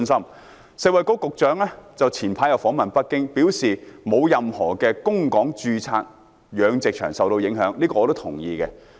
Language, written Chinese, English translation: Cantonese, 食物及衞生局局長早前訪問北京，表示沒有任何供港註冊養殖場受到影響，這點是我同意的。, The Secretary for Food and Health visited Beijing earlier and said that not any registered pig farms supplying pigs to Hong Kong were affected to which I give my acknowledgement